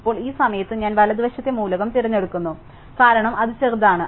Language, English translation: Malayalam, Now, at this point I choose the right hand side element, because it is smaller